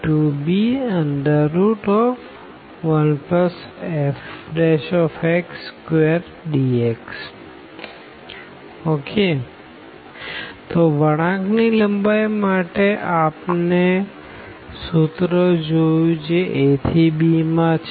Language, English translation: Gujarati, So, for the curve length we have just seen the formula was a to b